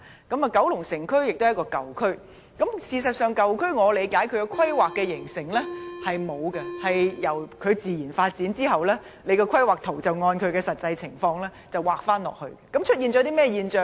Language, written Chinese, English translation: Cantonese, 九龍城區是一個舊區，事實上，我理解舊區是在沒有甚麼規劃下形成的，舊區自然發展後，便按實際情況來規劃，這會出現甚麼現象呢？, Kowloon City is an old district . In fact as I understand it Kowloon City has developed without any particular planning . After a district has developed naturally planning will be formulated according to its actual circumstances and what will happen?